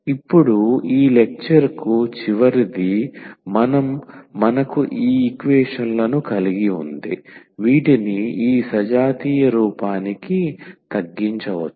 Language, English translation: Telugu, Now, the last one for this lecture we have the equations which can be reduced to this homogeneous form